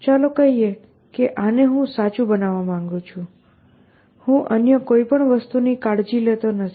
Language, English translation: Gujarati, Let us say this is what I want to be true, I do not care about anything else essentially